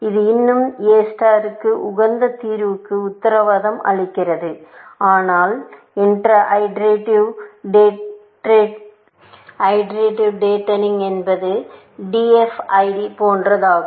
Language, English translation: Tamil, It still, A star in the sense, guarantee the optimal solution, but is iterative datening like, DFID essentially